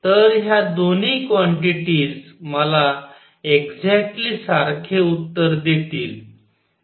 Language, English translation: Marathi, So, both both these quantities will give me exactly the same answer